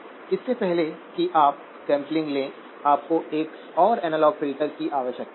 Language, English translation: Hindi, Before you do the sampling, you need another analog filter